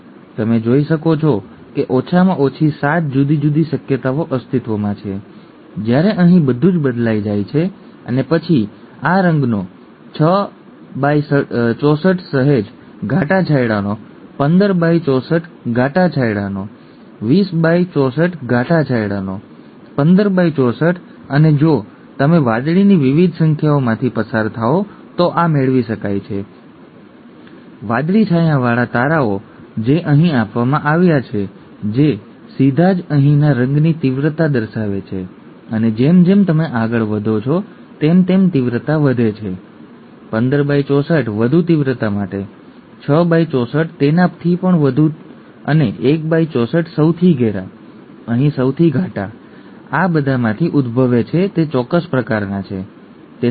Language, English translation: Gujarati, As you could see at least 7 different possibilities exist, no colour at all when everything is recessive here and then 6 by 64 of this colour, 15 by 64 of a slightly darker shade, 20 by 64 of a darker shade, 15 by 64 of a darker shade and this can be obtained if you do, if you go through the various numbers of the blue, bluely shaded stars that are given here, that would directly show the intensity of the colour here and as you go along the intensity increases, 15 by 64 for higher intensity, 6 by 64 even higher and 1 by 64 the darkest, the darkest possible here that arises of all these 6 are of a certain kind, okay